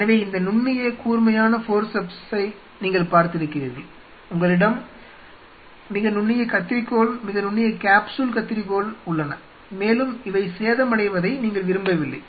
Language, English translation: Tamil, So, you have seen this fine sharp you know forceps, you have very fine should say very fine you know scissors, capsules and you did not want these to get damaged